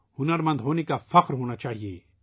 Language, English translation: Urdu, We should be proud to be skilled